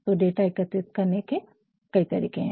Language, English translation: Hindi, And, there is several ways of collecting the data